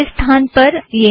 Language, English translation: Hindi, So this is where it is